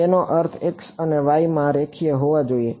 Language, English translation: Gujarati, It should be linear in I mean in x and y